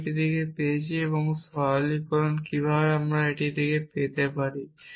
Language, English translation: Bengali, I got it from one and simplification how did I get this